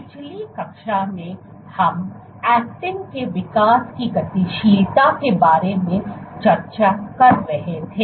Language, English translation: Hindi, So, in the last class we were discussing about dynamics of actin growth right